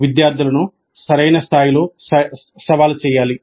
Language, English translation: Telugu, So challenge the students at the right level